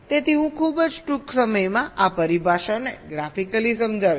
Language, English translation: Gujarati, so i shall be explaining these terminologies graphically very shortly